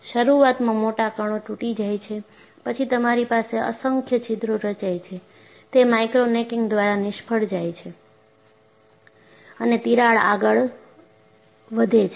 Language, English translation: Gujarati, Initially, the large particles break, then you have myriads of holes formed, they fail by micro necking and the crack moves forward